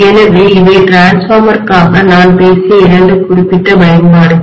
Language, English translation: Tamil, So these are two specific applications that I talked about for transformer